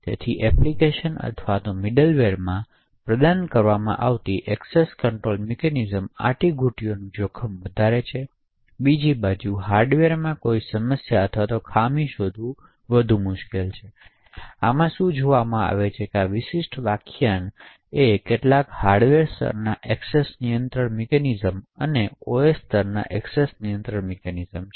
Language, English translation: Gujarati, So, essentially access control mechanisms provided in the application or middleware are more prone to loopholes and can be exploited, on the other hand finding a loophole or a problem or a vulnerability in the hardware is far more difficult, so what will be seeing in this particular lecture is some of the hardware level access control mechanisms and also the OS level access control mechanisms